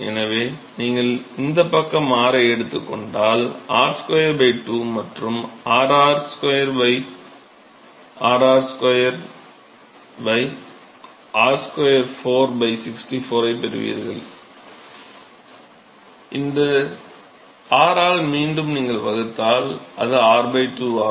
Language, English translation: Tamil, So, you take r on this side that gives you r square by 2 and then you have, you get r r square r square by r to the power of 4 by 64 you will get, then you divide by r again, it will be r by 2 and then you integrate it again, it will be r square by 4